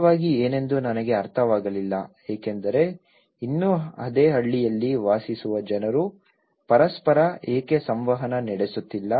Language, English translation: Kannada, I didnÃt realize what was really because still, the people are living in the same village what did why they are not interactive